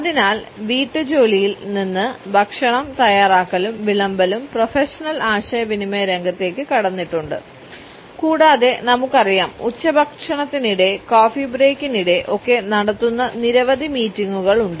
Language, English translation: Malayalam, So, from a domestic chore the preparation and serving of food has entered the realm of professional communication and we look at several meetings being conducted over a lunch, during coffee breaks etcetera